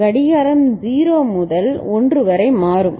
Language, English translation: Tamil, Clock changes from 0 to 1 ok